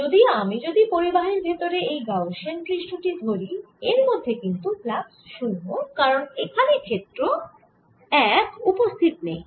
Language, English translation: Bengali, however, if i look at the gaussian surface inside, the metallic flux of this gaussian surface is zero because there is no field